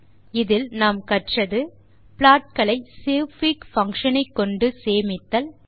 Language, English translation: Tamil, In this tutorial,we have learnt to, Save plots using the savefig() function